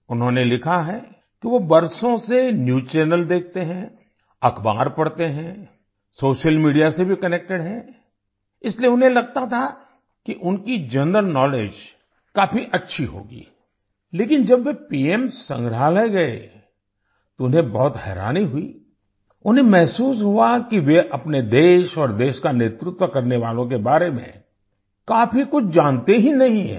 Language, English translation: Hindi, He has written that for years he has been watching news channels, reading newspapers, along with being connected to social media, so he used to think that his general knowledge was good enough… but, when he visited the PM Museum, he was very surprised, he realized that he did not know much about his country and those who led the country